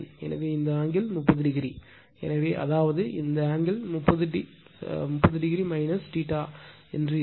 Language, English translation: Tamil, So, this angle is 30 degree so; that means, this angle will be 30 degree minus theta